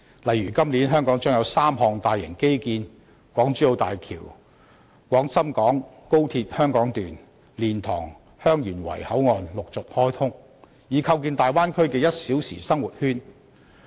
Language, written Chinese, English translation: Cantonese, 例如今年香港將有3項大型基建落成，港珠澳大橋、廣深港高速鐵路、蓮塘/香園圍口岸將陸續開通，以構建大灣區"一小時生活圈"。, For example with the completion of three major infrastructure projects in Hong Kong this year the Hong Kong - Zhuhai - Macao Bridge Hong Kong Section of the Guangzhou - Shenzhen - Hong Kong Express Rail Link and LiantangHeung Yuen Wai Boundary Control Point will be successively commissioned to establish a one - hour living circle in the Bay Area